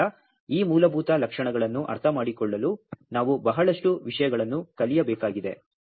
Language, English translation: Kannada, So, we have to learn lot of things to understand to these basic features